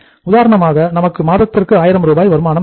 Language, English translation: Tamil, For example we want to have the revenue of 1000 Rs per month